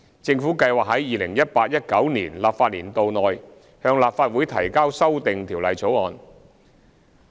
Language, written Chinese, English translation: Cantonese, 政府計劃在 2018-2019 立法年度內向立法會提交修訂條例草案。, The Government plans to present an Amendment Bill to the Legislative Council within the 2018 - 2019 legislative session